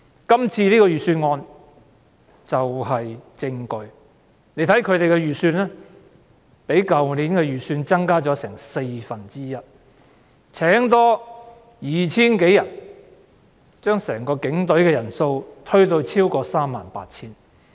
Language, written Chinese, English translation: Cantonese, 這次的財政預算案便是證據，警務處的預算開支較去年的預算開支增加四分之一，增聘 2,000 多人，將整個警隊的人數推至超過 38,000 人。, The Budget itself is the evidence . The estimated expenditure for the Hong Kong Police Force has increased by one fourth when compared with last year . An additional 2 000 - odd people will be employed pushing up the total number of police officers to over 38 000